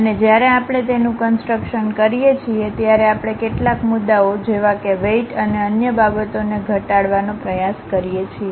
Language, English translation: Gujarati, And when we are constructing that, we try to minimize certain issues like weights and other thing